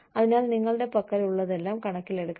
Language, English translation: Malayalam, So, whatever you have, should be taking into account